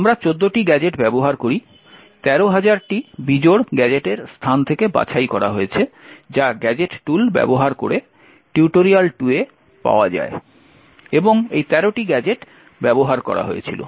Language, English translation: Bengali, The gadgets that we use are actually, there are 14 of them, picked from this space of the 13,000 odd gadgets which are found in tutorial 2 using the gadget tool and these are the 13 gadgets which were used